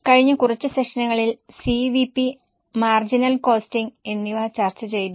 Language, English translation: Malayalam, In last few sessions, we have discussed CVP marginal costing